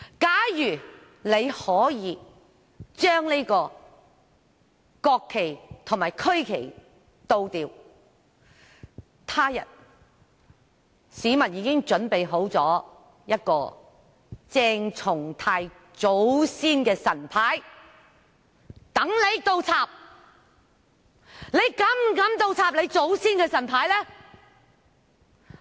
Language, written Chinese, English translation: Cantonese, 假如可以將國旗及區旗倒轉，他日......市民已經準備了一個鄭松泰議員祖先的神牌，讓他倒轉擺放。, If it is acceptable to invert the national and regional flags one day the people have prepared an ancestral tablet of Dr CHENG Chung - tais ancestors for him to place upside down